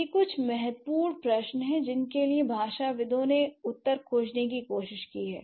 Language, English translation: Hindi, So, these are some of the crucial questions that linguists try to find the answers for